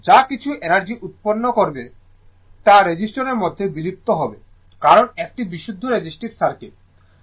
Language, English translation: Bengali, Whatever energy you will produce, that will be dissipated in the resistor because, is a pure resistive circuit right